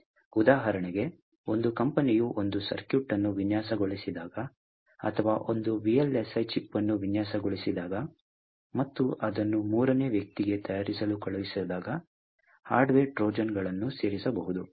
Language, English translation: Kannada, For example, when a company actually designs a circuit or designs a VLSI chip and sends it for fabrication to a third party, hardware Trojans may be inserted